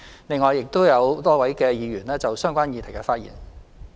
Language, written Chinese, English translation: Cantonese, 另外，亦有多位議員就相關議題發言。, Besides my thanks also go to a number of Members who have spoken on the relevant issues